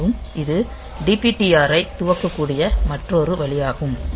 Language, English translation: Tamil, So, you can also initialize that DPTR